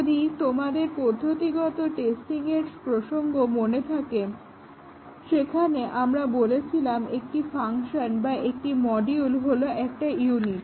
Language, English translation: Bengali, If you remember the context of procedural programs, we had said that a unit is either a function or a module